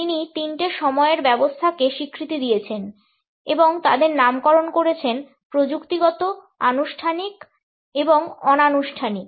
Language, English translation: Bengali, He has recognized three time systems and named them as technical, formal and informal